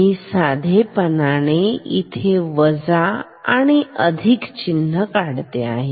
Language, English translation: Marathi, I will simply make this minus and this plus ok